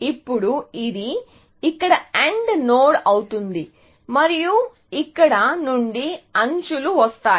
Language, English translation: Telugu, Now, this, of course, would be an AND node here, and I could have edges coming from here